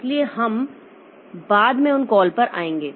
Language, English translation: Hindi, So we'll come to those calls later